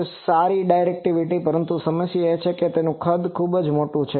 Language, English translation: Gujarati, It has a good directivity but problem is it is size is very big